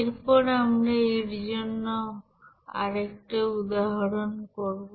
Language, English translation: Bengali, Let us do another example